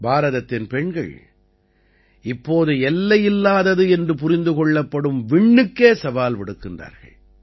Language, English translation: Tamil, The daughters of India are now challenging even the Space which is considered infinite